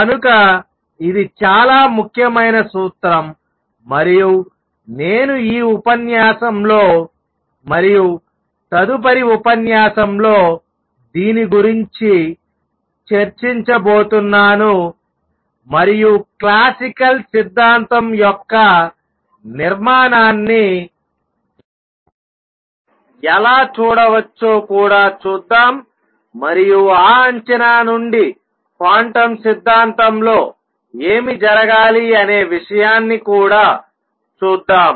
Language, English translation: Telugu, So, it is a very important principle and I am going to spend this lecture and the next lecture discussing this and also see how one could look at the structure of classical theory and from that guess what should happen in quantum theory